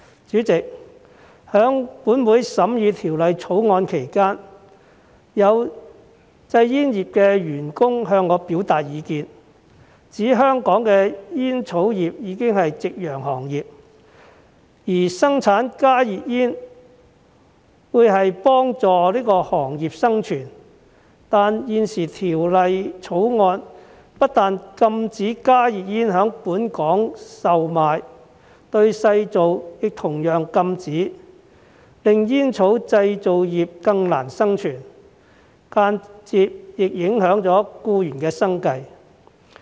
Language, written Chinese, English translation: Cantonese, 主席，本會在審議《條例草案》期間，有製煙業的僱員向我表達意見，指香港的煙草業已是夕陽行業，而生產加熱煙能幫助行業的生存，但現時《條例草案》不但禁止加熱煙在本港售賣，製造亦同遭禁止，令煙草製造業更難生存，間接亦影響僱員的生計。, President during the scrutiny of the Bill some employees of the tobacco industry expressed their views to me . They pointed out that the tobacco industry in Hong Kong was already a sunset industry and that the production of HTPs could help the industry to survive . However the present Bill does not only ban the sale of HTPs but also their manufacture making it more difficult for the tobacco industry to survive and indirectly affecting the livelihood of the employees